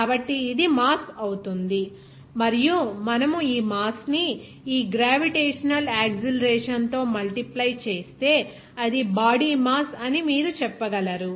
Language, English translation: Telugu, So, this will be your mass and if you multiply this mass with this gravitational acceleration, then you can say it will be your body force